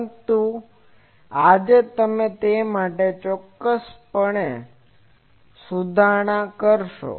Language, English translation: Gujarati, But today, we will make certain correction to that